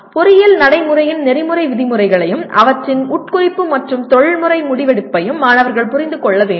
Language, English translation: Tamil, Students should understand the ethical norms of engineering practice and their implication and professional decision making